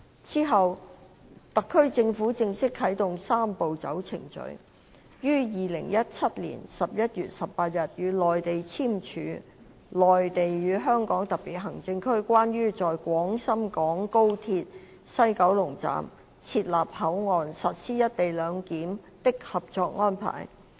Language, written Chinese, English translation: Cantonese, 之後，香港特區政府正式啟動"三步走"程序，於2017年11月18日與內地簽署《內地與香港特別行政區關於在廣深港高鐵西九龍站設立口岸實施"一地兩檢"的合作安排》。, Thereafter the HKSAR Government formally commenced the Three - step Process by signing with the Mainland the Co - operation Arrangement between the Mainland and the Hong Kong Special Administrative Region on the Establishment of the Port at the West Kowloon Station of the Guangzhou - Shenzhen - Hong Kong Express Rail Link for Implementing Co - location Arrangement on 18 November 2017